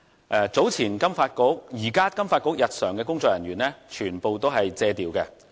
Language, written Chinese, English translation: Cantonese, 現時金發局日常的工作人員全屬借調人員。, At present the staff of FSDC are all on secondment